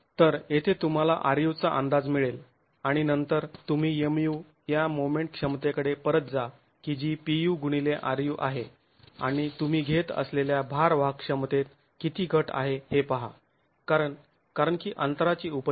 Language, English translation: Marathi, So, here you get an estimate of RU and then go back to the moment capacity MU being PU into RU and see how much of reduction in the load carrying capacity you are getting because of the presence of the gap